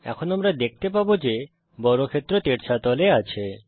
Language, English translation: Bengali, We see that the square is in the tilted position now